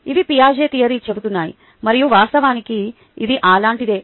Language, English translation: Telugu, these are what the piagets theory says, and what it actually is is something like this